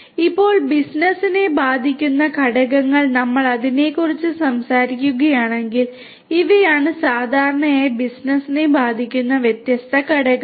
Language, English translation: Malayalam, Now, the factors that affect business, if we talk about that, so these are the different factors that will typically affect the business